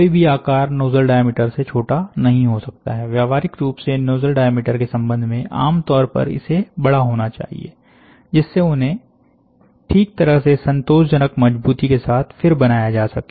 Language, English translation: Hindi, No feature can be smaller than the diameter, and in practical, in practice, feature should normally be larger, should be large related to the nozzle diameter, to faithfully reproduced them with satisfactory strength